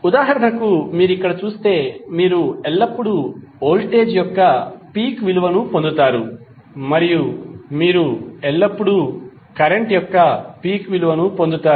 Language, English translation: Telugu, As for example if you see here, you will always get peak value of voltage and you will always get peak value of current